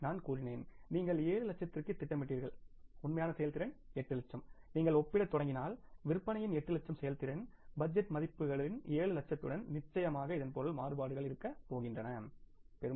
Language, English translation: Tamil, I told you that you planned for 7 lakh and actual performance is 8 lakhs and if you start comparing the performance of the 8 lakhs worth of the sales with the 7 lakhs of the budget estimates certainly means the variances are going to be there